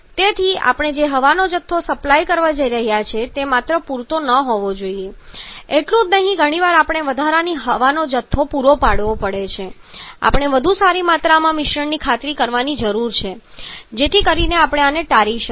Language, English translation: Gujarati, So, the quantity of air that we are going to supply that not only has to be sufficient rather often we have to supply surplus quantity of here or we need to ensure a better amount of mixing so that we can avoid this